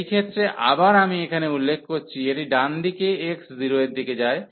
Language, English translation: Bengali, So, in this case again let me point out here, this is x approaching to 0 from the right side